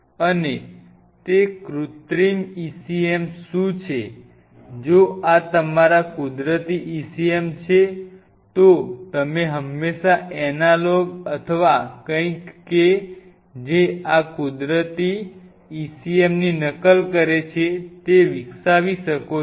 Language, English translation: Gujarati, what we mean by synthetic ecm is, if these are your natural ecms, you can always develop analogue or something which mimics these natural ecm